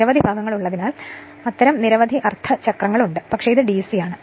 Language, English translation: Malayalam, Because so many segments are there so many such half cycles are there, so there, but it is DC, but it is DC right